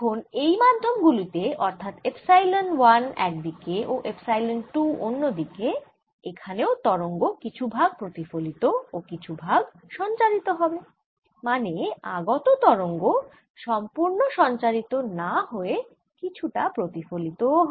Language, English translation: Bengali, so we have got in this medium which is epsilon one, and go inside epsilon two on the other side and therefore there is some reflection and transmission which are incident wave does not transmitted completely and we have got e reflected